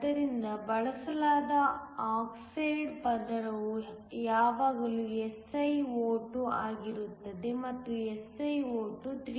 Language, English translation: Kannada, So, the oxide layer that is used is always SiO2 and SiO2 has a relative permittivity of 3